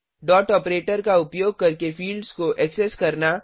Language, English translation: Hindi, Accessing the fields using dot operator